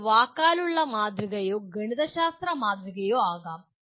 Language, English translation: Malayalam, It could be a verbal model or a mathematical model